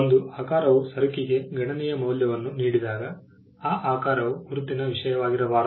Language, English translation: Kannada, When a shape gives a substantial value to the good, then that shape cannot be a subject matter of a mark